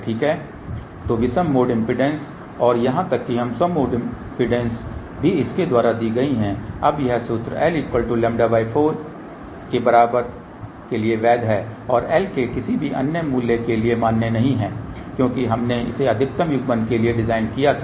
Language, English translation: Hindi, So, odd mode impedance and even mode impedances are given by this now this formula is valid for l equal to lambda by 4 not valid for any other value of l ok , because we had designing it for maximum coupling